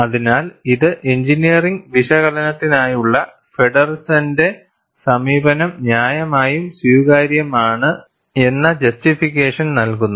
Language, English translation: Malayalam, So, this gives the justification, Feddersen’s approach for engineering analysis is reasonably acceptable